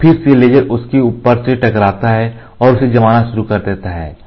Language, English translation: Hindi, Now, again the laser hits on top of it and starts curing it